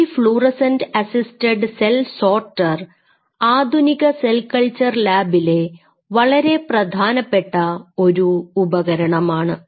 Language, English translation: Malayalam, So, these fluorescent cell sorter fluorescent assets assisted cell sorter are one of the very potential tools in the modern cell culture labs